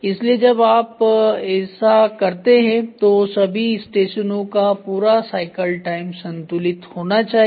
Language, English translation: Hindi, So, when you do this the entire cycle time of all the stations have to be balanced